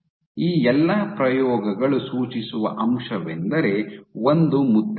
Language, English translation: Kannada, So, what all these experiments suggest is there is an imprint